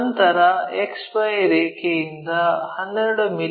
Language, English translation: Kannada, This is the XY line